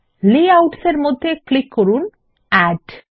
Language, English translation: Bengali, In Layouts, click Add